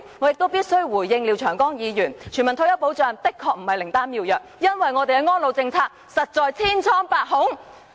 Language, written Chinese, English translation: Cantonese, 我亦必須回應廖長江議員的評論，全民退休保障的確不是靈丹妙藥，因為我們的安老政策，實在千瘡百孔。, I must also respond to the remarks by Mr Martin LIAO . Universal retirement protection is certainly no panacea because our elderly policy is riddled with problems